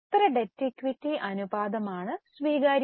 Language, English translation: Malayalam, How much debt equity ratio is acceptable